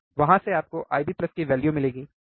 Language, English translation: Hindi, From there you will get your value of I B plus, right